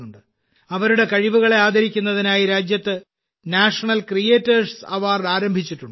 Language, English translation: Malayalam, To honour their talent, the National Creators Award has been started in the country